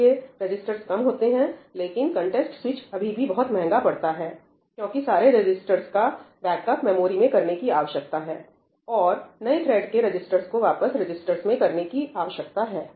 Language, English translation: Hindi, So, the number of registers is small, but a context switch is still costly, right, because all these registers need to be backed up into the memory and the registers of the new thread need to be copied back into the registers